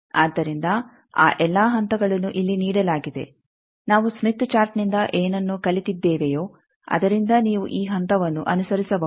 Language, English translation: Kannada, So, all those steps are given here just whatever we have learnt from the smith chart from that you can just follow this step